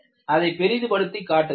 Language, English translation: Tamil, I will make a zoom of it